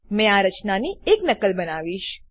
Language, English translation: Gujarati, I will make a copy of this structure